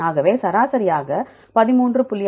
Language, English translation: Tamil, So, take the average 13